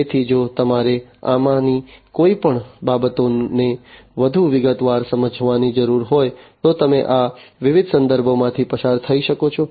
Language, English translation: Gujarati, So, you know if you need to understand any of these things in more detail, then you know you can go through these different references